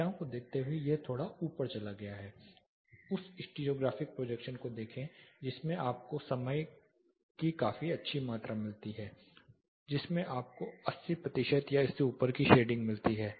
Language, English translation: Hindi, Looking at the numbers, this is slightly gone up look at the stereographic projection you get a considerably good amount of time in which you get 80 percent or above shading